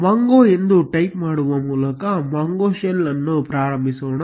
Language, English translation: Kannada, Let us start the mongo shell by typing mongo